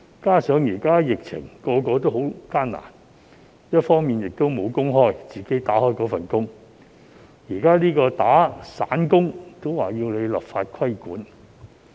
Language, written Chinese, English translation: Cantonese, 加上現時在疫情下，大家也十分艱難，一直任職的工作無工開，現在連做散工也要立法規管？, Moreover under the current epidemic situation people are having a hard time with the loss of many jobs are we going to introduce legislation for the regulation of even casual employment?